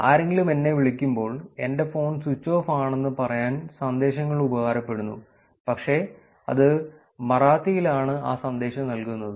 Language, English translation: Malayalam, When somebody calls me, the messages are actually want to be saying that the phone is switched off, but it is going to be giving that message in Marathi